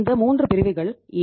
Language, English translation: Tamil, These 3 categories are A, B, and C